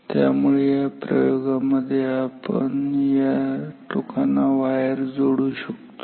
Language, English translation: Marathi, So, therefore, in this experiment we can connect the wires to these terminals